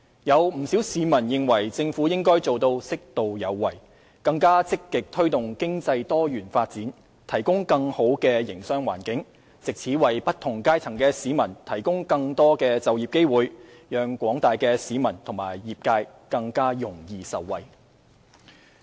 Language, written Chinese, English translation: Cantonese, 有不少市民認為政府應該做到"適度有為"，更積極地推動經濟多元發展，提供更好的營商環境，藉此為不同階層的市民提供更多就業機會，讓廣大的市民和業界更容易受惠。, Many citizens consider the Government should be appropriately proactive in governance making more proactive efforts to promote diversified economic development and provide a better business environment so as to provide more employment opportunities for people from various social strata and facilitate the general public and the industries in benefiting from it